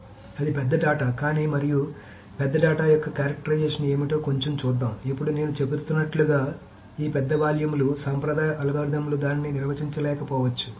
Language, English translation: Telugu, And let us see a little bit of what the characterization of big data is essentially now this large volumes of data as I am saying the traditional algorithms may not be able to handle it